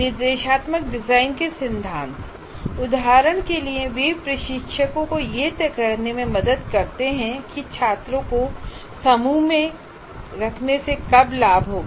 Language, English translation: Hindi, At least the principles of instructional design would give some indications when it would benefit students to be put into groups